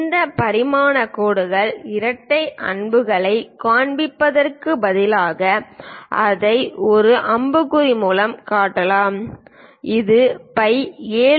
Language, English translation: Tamil, Instead of showing this dimension line double arrows thing one can also show it by a single arrow, a leader line with phi 7